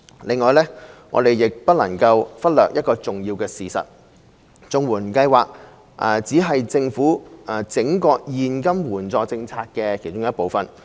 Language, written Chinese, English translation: Cantonese, 另外，我們亦不能忽略一個重要事實，就是綜援計劃只是政府整個現金援助政策的其中一部分。, Moreover we should not overlook the important fact that the CSSA Scheme is only a part of the Governments entire cash assistance system